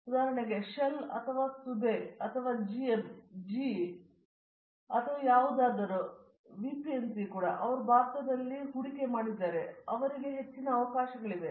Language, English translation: Kannada, So, that for example, the shell or Sabey or any anything GM GE or whatever thing even the VPNG they are all here in India and therefore, they have opportunities there are many more